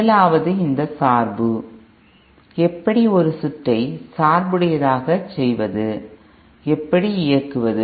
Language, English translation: Tamil, First was this bias, how to bias a circuit, then how to operate